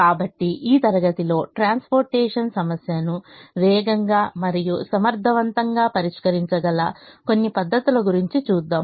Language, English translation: Telugu, so in this class we will look at some of these methods that can solve the transportation problem faster and efficiently